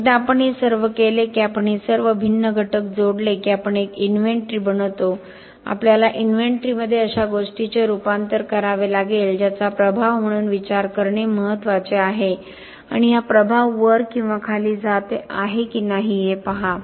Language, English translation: Marathi, Once we do all this if we add all this different component that is we make an inventory we have to transform the inventory to something that is important to be thought of as an impact and see if this impact is going up or down or it is high or low